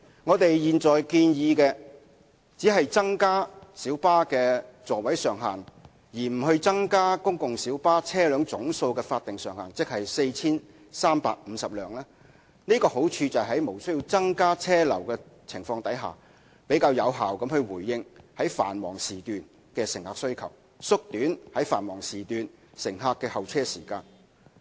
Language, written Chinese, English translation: Cantonese, 我們現在建議只增加小巴的座位上限，而不增加公共小巴車輛總數的法定上限，即 4,350 輛，好處是可以在無需增加車流的情況下，比較有效地回應繁忙時段的乘客需求、縮短繁忙時段乘客的候車時間。, What we are proposing is to increase only the seating capacity of PLBs but not the statutory cap of 4 350 PLBs . The proposal is desirable in that without generating additional traffic flow the passenger demand during peak periods can be met more effectively and the waiting time of passengers during peak periods can be shortened